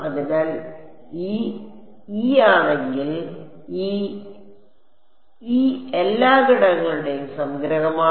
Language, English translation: Malayalam, So, if I if this e, this e is summing over all the elements